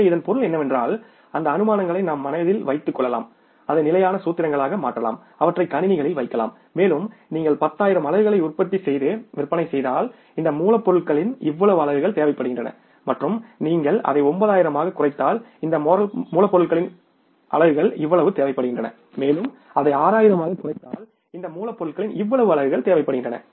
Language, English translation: Tamil, So, it means we can have those assumptions in mind, convert that into the standard formulas, put them into the computers and we can say that if you manufacture and sell 10,000 units this much unit of raw materials are required, if you reduce it to 9,000 this much units of raw material are required and if you reduce it to 6,000 this much units of raw materials are required